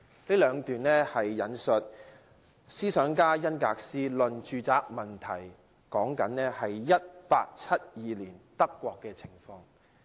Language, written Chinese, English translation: Cantonese, 上述兩段引述自思想家弗里德里希·恩格斯的《論住宅問題》，書中講述1872年德國的情況。, These two paragraphs were quoted from The Housing Question authored by thinker Friedrich ENGELS which talks about the conditions in Germany in 1872